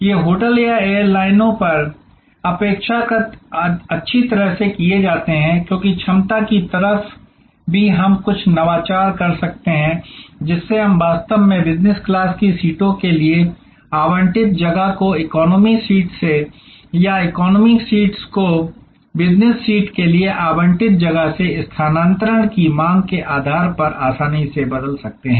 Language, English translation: Hindi, These are relatively well done in a hotel or on an airlines, because on the capacity side also we can do some innovation, whereby we can actually easily convert the space allocated for business class seats to economy seats or the space allocated for economy seats to business class seats depending on shifting demand